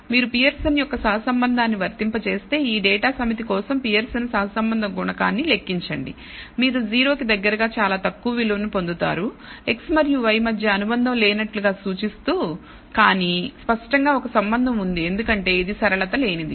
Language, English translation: Telugu, So, if you apply the Pearson’s correlation coefficient compute the Pearson correlation coefficient for this data set you get a very low value close to 0 indicating as if there is no association between x and y, but clearly there is a relationship because it is non linear